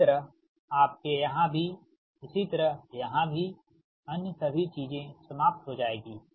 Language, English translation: Hindi, similarly, here, also right, all other things will be cancel